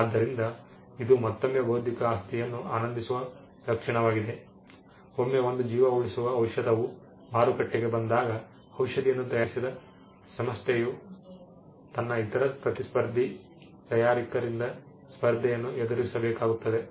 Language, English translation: Kannada, So, this is again a trait which intellectual property enjoys, once a medicine say it is a lifesaving medicine is out in the market it is possible for the competitors of the manufacturer who manufactured this medicine